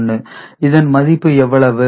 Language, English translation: Tamil, 101, what will be its value